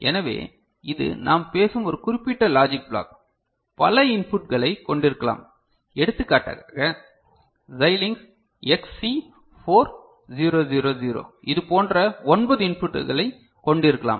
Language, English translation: Tamil, So, this is one particular logic block we are talking about can have many inputs for example, Xilinx XC4000 can have nine such inputs ok